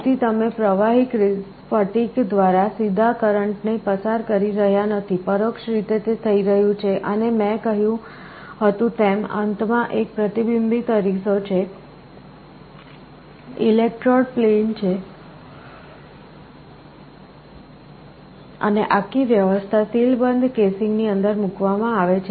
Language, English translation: Gujarati, So, you are not directly passing a current through the liquid crystal, indirectly it is happening and as I said there is a reflecting mirror at the end, electrode plane and the whole arrangement is placed inside a sealed casing